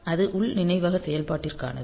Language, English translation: Tamil, So, that is for internal memory operation